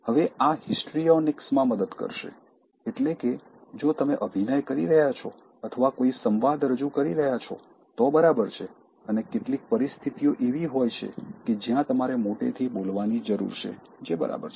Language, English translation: Gujarati, Now, this will help in histrionics, that is, if you are acting or delivering some dialogue, that’s fine and there are some situations where you need to speak in loud voice that is also okay